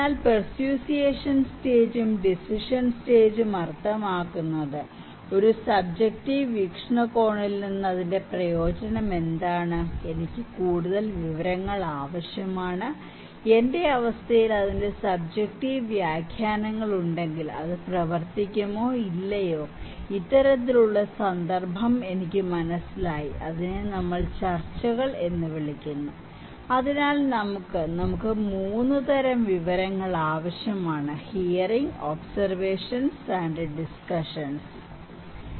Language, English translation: Malayalam, So, the persuasion stage and decision stage that means, what is the utility of that from a subjective point of view, I need more information, if subjective interpretations of that one in my condition, it will work or not, this kind of context which I get, which we call discussions so, we have; we need 3 kinds of information; hearing, observations and discussions, okay